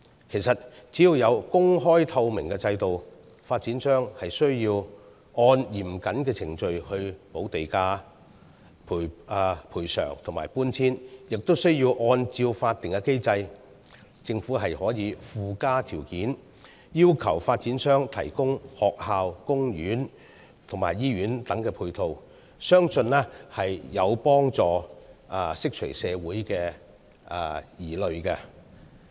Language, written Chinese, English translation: Cantonese, 其實，只要有公開透明的制度，發展商需要按嚴謹程序補地價、賠償和搬遷，而按照法定機制，政府可以附加條件，要求發展商提供學校、公園和醫院等配套，相信將有助釋除社會的疑慮。, In fact as long as there is an open and transparent system under which developers have to pay the land premium provide compensation and arrange relocation according to strict procedures and the Government can impose additional conditions on developers through a statutory mechanism requiring them to provide ancillary facilities such as schools parks and hospitals I believe that such a system can help address concerns of the community